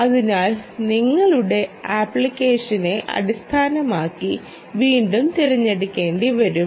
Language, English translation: Malayalam, so again, you will have to choose based on your application